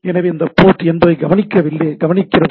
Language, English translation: Tamil, So, it is listening to a port 80, right